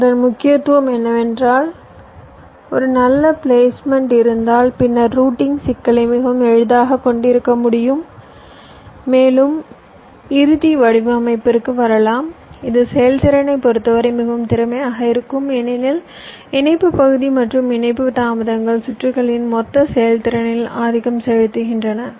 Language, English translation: Tamil, ok, so the important of placement is quite cleared, that if i have a good placement i can have the routing problem much easier later on and also i can come or i can arrive at a final design which will be more efficient in terms of performance, because today interconnection area and interconnection delays are dominating the total performance of the circuits